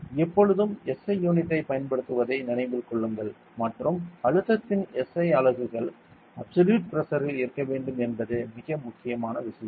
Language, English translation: Tamil, Remember always use the SI unit and SI units of pressure should also be in absolute pressure very important thing always remember this ok